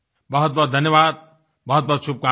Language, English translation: Hindi, Many many thanks, many many good wishes